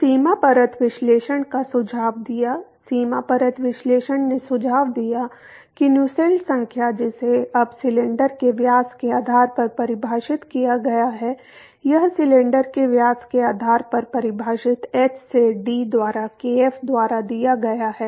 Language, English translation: Hindi, So, the boundary layer analysis suggested; the boundary layer analysis suggested that the Nusselt number that is defined now based on the diameter of the cylinder so, this is given by h into d by kf defined based on the diameter of the cylinder